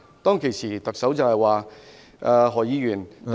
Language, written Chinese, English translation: Cantonese, 當時特首說，何議員，第一......, At that time the Chief Executive said Dr HO the first